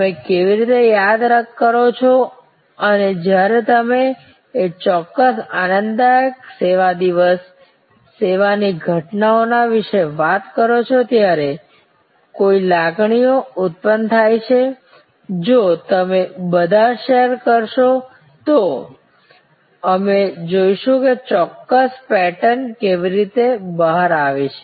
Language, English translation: Gujarati, How do you recall and what are the emotions that are evoked when you thing about that particular joyful service day, service occurrence, it will be could if you all share then we will see how certain patterns emerge